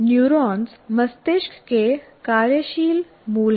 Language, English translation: Hindi, Neurons are functioning core of the brain